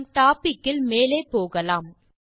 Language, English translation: Tamil, Let us move further in our topic